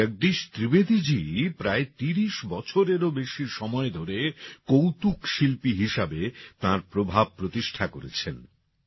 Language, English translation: Bengali, As a comedian, Bhai Jagdish Trivedi ji has maintained his influence for more than 30 years